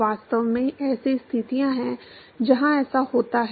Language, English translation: Hindi, In fact, there are situations where this is the case